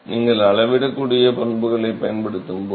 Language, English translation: Tamil, Not always, when you are using the measurable properties